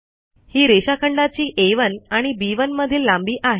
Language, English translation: Marathi, this is the length of the line which is between A1 and B1